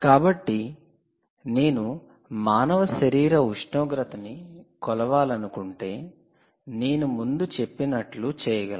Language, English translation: Telugu, actually, if you want to make a measurement of human body temperature, you could do it